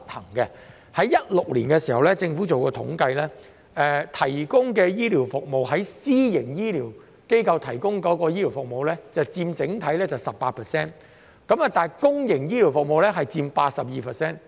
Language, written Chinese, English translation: Cantonese, 在2016年，政府進行了一項統計，私營醫療機構提供的醫療服務佔整體 18%， 而公營醫療服務則佔 82%。, A survey conducted by the Government in 2016 revealed that the supply of medical services by private healthcare institutions accounted for 18 % of the total while the public sector accounted for 82 %